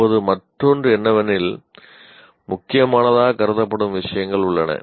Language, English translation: Tamil, Now the other one is these are the things that are considered important